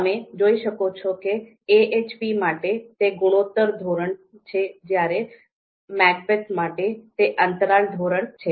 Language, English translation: Gujarati, As you can see for AHP, it is ratio scale; for MACBETH, it is the interval scale